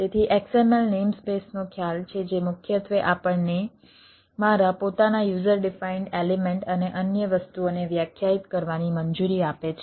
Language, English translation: Gujarati, so there is a concept of xml name space, which which primarily allows us to define my own user defined elements and other things